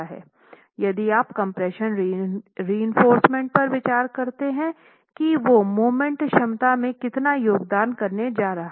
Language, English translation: Hindi, If you were to consider the compression reinforcement, how much is that going to contribute to the moment capacity